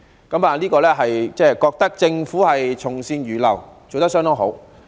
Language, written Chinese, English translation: Cantonese, 我覺得政府從善如流，做得相當好。, In my view the Government should be commended for taking on board this piece of good advice